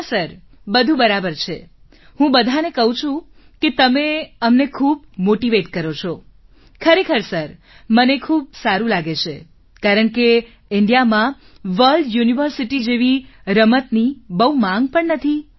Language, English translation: Gujarati, Yes sir, everything is fine, I tell everyone that you motivate us so much, really sir, I am feeling very good, because there is not even a lot of demand for a game like World University in India